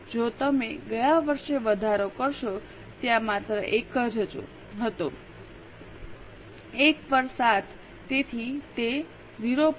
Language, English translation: Gujarati, 14 if you go up in the last year their tax was only 1 so 1 on 7 so it is 0